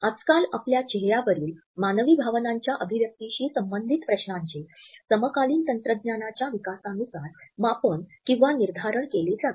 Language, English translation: Marathi, The questions which nowadays we have to grapple as far as the expression of human emotions on our face is concerned are more rated with contemporary technological developments